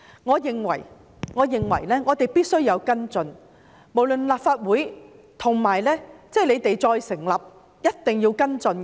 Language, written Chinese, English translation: Cantonese, 我認為我們必須跟進，無論是立法會、政府都一定要跟進。, I think we must follow it up . Both the Legislative Council and the Government must follow it up